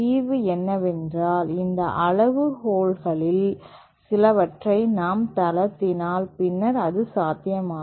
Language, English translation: Tamil, The solution is that if we relax some of these criterion, then however it is possible